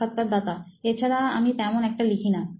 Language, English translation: Bengali, Apart from this I do not write that much